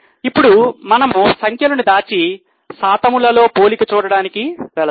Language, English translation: Telugu, Now, I think we will hide the figures and go for comparison with percentage